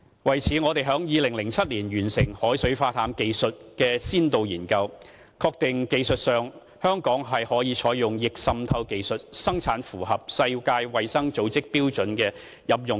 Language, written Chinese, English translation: Cantonese, 為此，我們於2007年完成海水化淡技術的先導研究，確定香港在技術上可以採用逆滲透技術，生產符合世界衞生組織標準的飲用水。, For this purpose we completed a pilot study on desalination technology in 2007 and confirmed that technologically Hong Kong can use reverse osmosis technology to produce drinking water which meets the standard of the World Health Organization